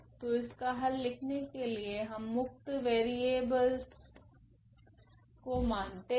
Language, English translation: Hindi, So, first we will assume these free variables